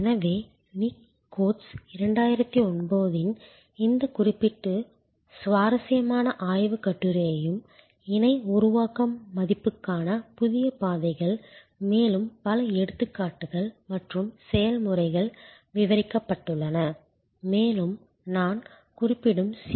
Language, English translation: Tamil, So, I would also refer to this particular interesting research paper by Nick Coates 2009, Co creation New pathways to value, lot of more examples and process are described there and also the C